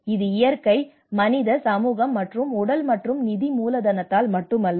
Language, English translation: Tamil, So it is not just only because of this natural, human, social and physical and financial capital